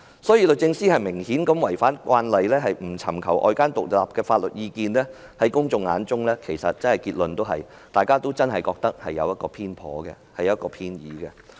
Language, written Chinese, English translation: Cantonese, 所以，律政司明顯是違反慣例，不尋求外間獨立法律意見，在公眾眼中，其實大家都真的覺得是偏頗、偏倚。, Therefore it is obvious that DoJ has violated the convention as it fails to seek independent legal advice from outside . Everyone of the public really considers that it is a biased and slanted decision